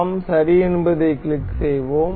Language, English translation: Tamil, And we will click ok